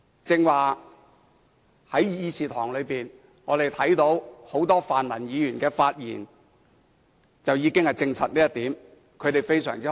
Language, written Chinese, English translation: Cantonese, 剛才在議事廳內，我們看到很多泛民議員的發言已經證實這點。, As we can see the speeches made by many pan - democratic Members in this Chamber earlier bear testimony to this point